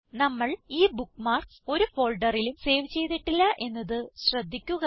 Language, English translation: Malayalam, Notice that we have not saved these bookmarks to a folder